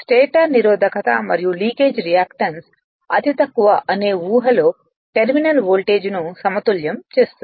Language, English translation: Telugu, Which balances the terminal voltage under the assumption that the stator resistance and leakage reactance's are negligible right